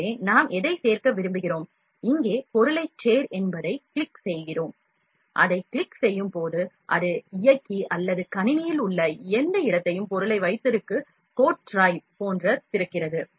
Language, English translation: Tamil, So, what we want to add, we click add object here and when we click it, it opens the drive or the any location in the computer like the cod drive where the object is kept